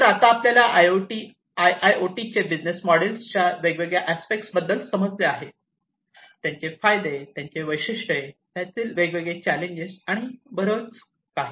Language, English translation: Marathi, So, we have understood the different aspects of IIoT business models, the advantages, the features, the advantages, the different challenges, and so on